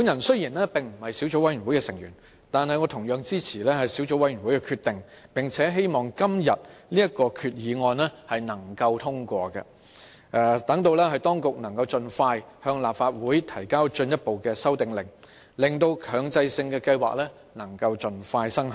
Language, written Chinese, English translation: Cantonese, 雖然我並非小組委員會的成員，但也支持小組委員會的決定，並希望今天這項決議案獲得通過，讓當局能夠盡快向立法會提交進一步的修訂令，以便強制性標籤計劃盡早生效。, Although I am not a member of the Subcommittee I support its decision and hope that this proposed resolution will be passed today so that the Administration can expeditiously table another amendment order before this Council for commencement of MEELS as early as possible